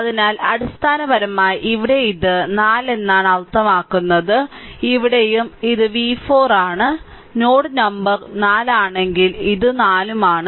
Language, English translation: Malayalam, So, basically here it is 4 means here also it is v 4, if it is node number 4 means this is also 4 right